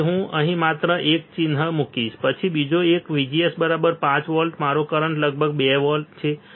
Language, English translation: Gujarati, So, I will just put a mark here then another one VGS equals to 5 volts my current is about 2